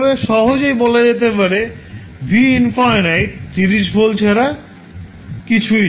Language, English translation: Bengali, You can simply say that v infinity is nothing but 30 volts